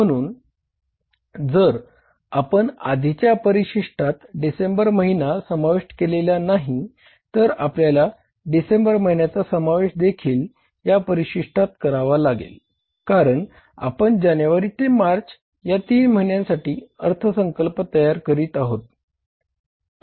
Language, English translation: Marathi, So what we have to do is we have to include the month of December also in this schedule though we have not included the month of December in the earlier two schedules because we are preparing the budget for three months the quarter starting from January till March